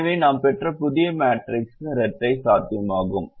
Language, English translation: Tamil, therefore the new matrix that we have obtained is also dual feasible